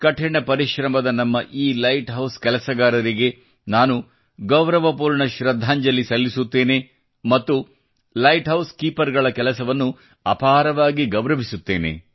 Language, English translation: Kannada, I pay respectful homage to these hard workinglight keepers of ours and have high regard for their work